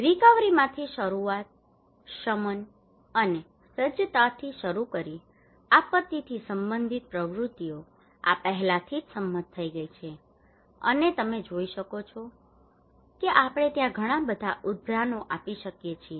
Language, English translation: Gujarati, Starting from the recovery, mitigation and preparedness, activities related to disaster right this is already agreed, and you can see there are so many citations we can give many more citations like that